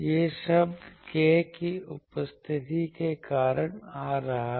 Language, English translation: Hindi, This term is coming due to this k presence of k you are getting this term